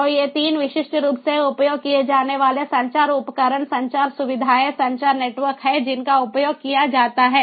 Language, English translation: Hindi, so these are three typical typically used communication equipments, communication facilities, communication networks that are used